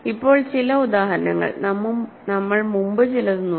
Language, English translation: Malayalam, So, now, some examples; so, we already looked at some before